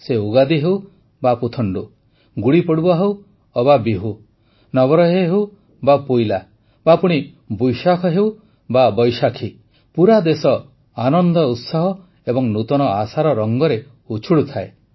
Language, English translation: Odia, Be it Ugadi or Puthandu, Gudi Padwa or Bihu, Navreh or Poila, or Boishakh or Baisakhi the whole country will be drenched in the color of zeal, enthusiasm and new expectations